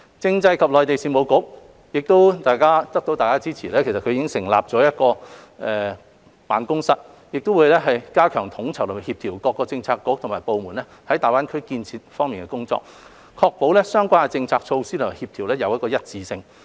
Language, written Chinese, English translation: Cantonese, 政制及內地事務局在獲得大家的支持下，已成立大灣區辦公室，加強統籌和協調各政策局和部門在大灣區建設方面的工作，確保相關政策措施的協調性和一致性。, With the support of Members the Constitutional and Mainland Affairs Bureau has set up the Greater Bay Area Development Office GBADO to enhance the coordination and collaboration of various bureaux and departments in the development of GBA and to ensure coordination and consistency of relevant policy initiatives